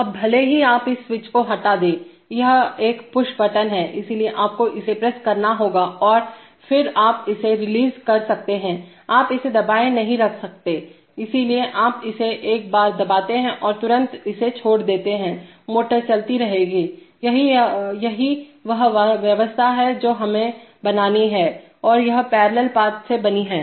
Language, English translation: Hindi, Now even if you remove this switch, it is a push button, so you have to, you have to press it and then you can release it, you cannot keep holding it, so you press it once and immediately even if you leave it, the motor will keep running, that is the arrangement that we have to make, so that is made by this parallel path